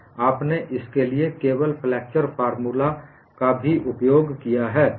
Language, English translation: Hindi, You have used only flexure of formula for this also